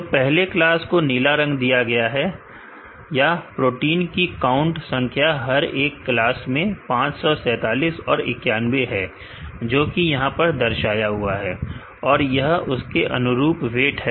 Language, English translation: Hindi, The first class is given a blue color, or the count number of proteins in each class is 547 and 91, which is displayed here and the corresponding weight